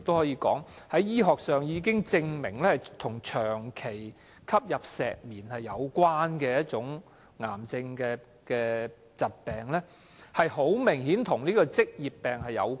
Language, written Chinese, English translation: Cantonese, 醫學上已經證明間皮瘤是長期吸入石棉所引致的癌症，明顯與職業病有關。, Mesothelioma is a cancer medically proven to be caused by long - term asbestos inhalation and is obviously an occupational disease